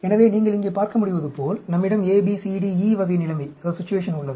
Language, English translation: Tamil, So, as you can see here, we have the A, B, C, D, E type of situation